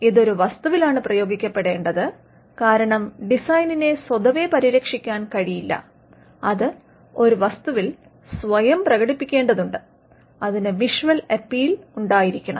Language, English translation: Malayalam, It should be applied to an article, because the design in itself cannot be protected, it has to manifest itself in an article and it should have visual appeal